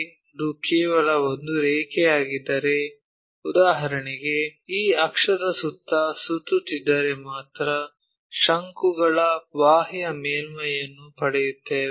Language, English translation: Kannada, If, it is just a line for example, only a line if we revolve around this axis, we get a peripheral surface of a cone